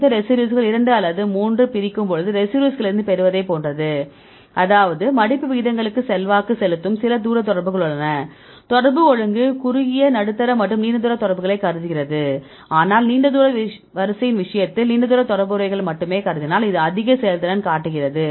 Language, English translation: Tamil, This is similar to what we get from the residues separation 2 or 3 residues; that means, there are some distance contacts which are influential for the folding rates right the contact order considers both short medium and long range contacts, but in the case of long range order we consider only the long range contacts because there is one which shows the highest performance